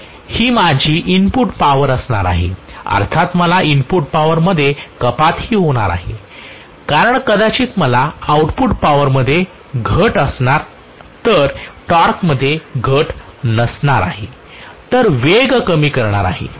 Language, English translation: Marathi, So this is going to be my input power so obviously I am going to have reduction in the input power also probably because of which I will have reduction in the output power not reduction in the torque but reduction in the speed